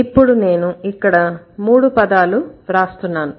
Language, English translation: Telugu, So, then now let's, so I'm writing here three words